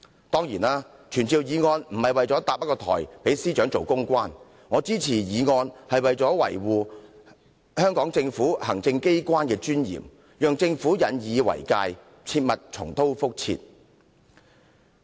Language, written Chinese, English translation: Cantonese, 當然，傳召議案不是要搭台讓司長充當公關，我支持議案是為了維護香港行政機關的尊嚴，讓政府引以為戒，避免重蹈覆轍。, Of course this summoning motion does not intend to set up a platform for the Secretary for Justice to become a PR officer . I support the motion to uphold the dignity of the Executive Authorities of Hong Kong so that the Government will learn a lesson and avoid making the same mistake